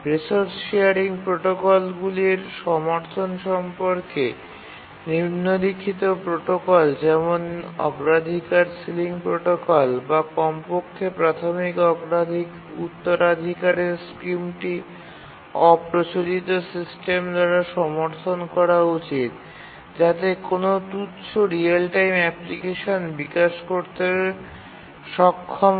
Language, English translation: Bengali, Support for resource sharing protocols, protocols such as priority sealing protocol, or at the basic inheritance scheme should be supported by the operating system to be able to develop any non trivial real time application